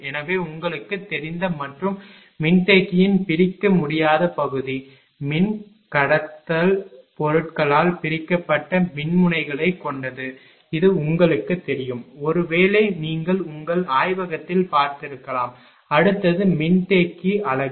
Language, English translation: Tamil, So, as you know and indivisible part of a capacitor consisting of electrodes separated by dielectric material this you know; perhaps you might have seen in the, you know laboratory also and next is the capacitor unit